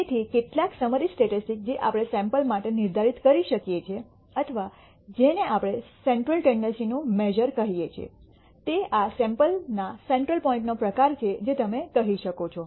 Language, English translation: Gujarati, So, some of the summary statistics that we can define for a sample or what we call measures of central tendency, it is the kind of the center point of this entire sample you might say